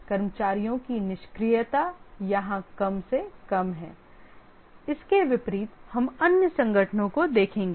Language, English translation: Hindi, The idling of the staff is minimized here unlike we'll see the other organizations